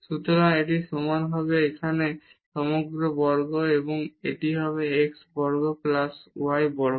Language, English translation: Bengali, So, this will be equal to this is square here whole square and this will be x square plus y square